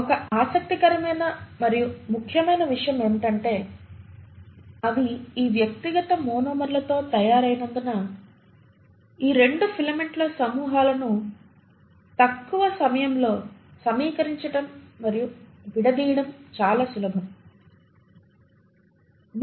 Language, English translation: Telugu, What is again interesting and important to note is that because they are made up of these individual monomers it is very easy for these 2 groups of filaments to assemble and disassemble at short notice